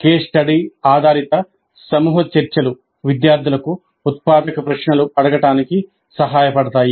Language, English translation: Telugu, Case study based group discussions may help students in learning to ask generative questions